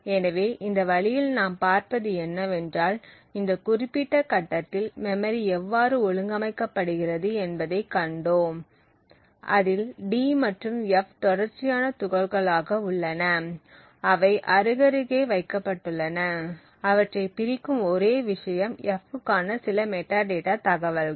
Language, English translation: Tamil, So in this way what we see is that we have seen how the memory is organized at this particular point in time, it has contiguous chunks of d and f which has placed side by side and the only thing which separates them is some metadata information for the f